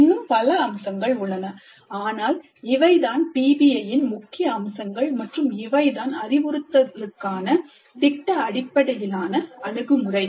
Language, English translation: Tamil, There are many other features but these are the key features of PBI, project based approach to instruction